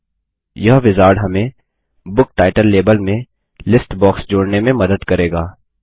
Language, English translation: Hindi, Now, this wizard will help us connect the list box to the Book title label